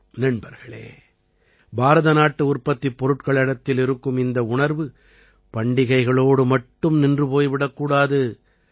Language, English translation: Tamil, Friends, this sentiment towards Indian products should not be limited to festivals only